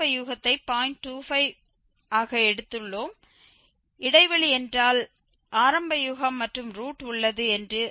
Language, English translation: Tamil, 25 and in if the interval we consider which contains the initial guess as well as the root that means it is 0